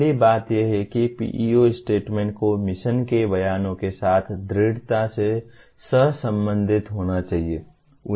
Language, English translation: Hindi, First thing is PEO statement should strongly correlate with mission statements